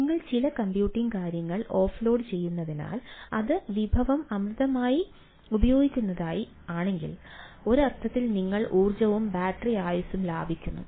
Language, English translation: Malayalam, so, as you are off loading some computing thing and which is if it is resource hungry, then in ah, in a sense, you are saving energies and battery life time